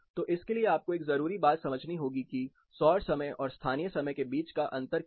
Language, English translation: Hindi, So for this, one major thing you have to understand is the difference between solar time and the local time